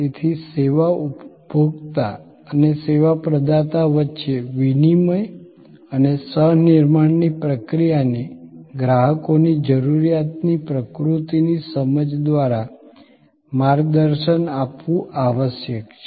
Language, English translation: Gujarati, So, the process of exchange and co creation between the service consumer and the service provider must be guided by the understanding of the nature of customers need